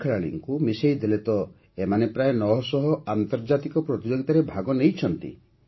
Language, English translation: Odia, If we take all the players together, then all of them have participated in nearly nine hundred international competitions